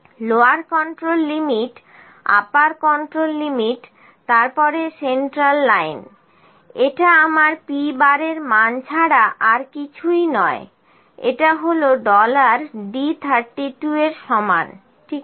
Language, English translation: Bengali, Lower control limit upper control limit then centerline central line central line is nothing, but my value of p bar this is equal to dollar d, dollar across the d 32, ok